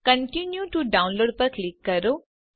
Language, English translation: Gujarati, Click on the Continue to Download button